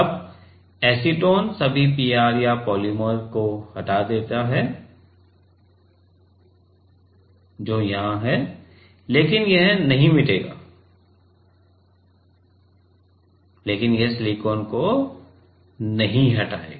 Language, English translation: Hindi, Now, acetone removes all the PR or the polymer which is here, but it will not, but it will not erase, but it will not remove the silicon right